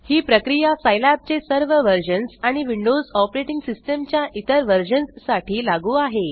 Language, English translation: Marathi, This procedure is applicable to all versions of Scilab and other versions of windows operating system